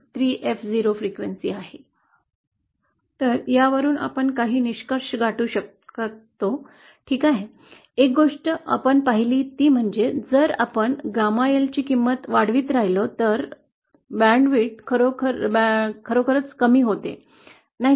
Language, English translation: Marathi, Some of the conclusions we can reach is ,okay, one thing that we saw was that, if we keep increasing the value of gamma L then the band width actually decreases, Isn’t it